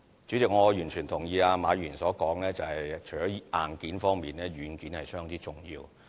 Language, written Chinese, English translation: Cantonese, 主席，我完全同意馬議員所說，除了硬件方面，軟件亦相當重要。, President I totally agree with Mr MA that software is not less important than hardware